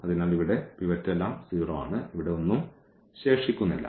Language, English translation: Malayalam, So, here this is pivot everything 0 here and there is nothing left